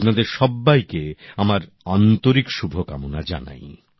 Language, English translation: Bengali, My best wishes to all of you